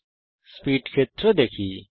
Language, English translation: Bengali, Look at the Speed field now